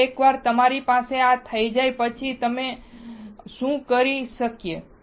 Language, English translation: Gujarati, Now, once you have this, what we can do